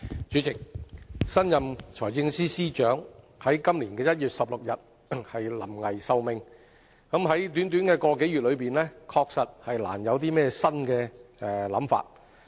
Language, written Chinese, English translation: Cantonese, 主席，新任財政司司長於今年1月16日才臨危受命，在短短一個多月內，確實難有新的想法。, President as the new Financial Secretary was appointed only as recently as 16 January this year it is indeed very difficult for him to apply any new thinking in just a month or so